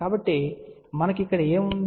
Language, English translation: Telugu, So, what we have here